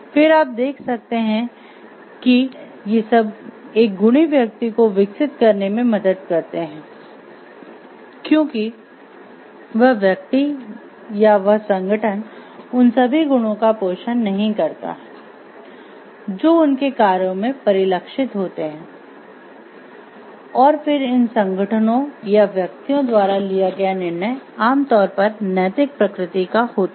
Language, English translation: Hindi, Then what you can see it helps in developing a virtuous person who because, that person not all that organization nurtures these qualities these gets reflected in their actions and then the decision taken by these organizations or individuals are generally ethical in nature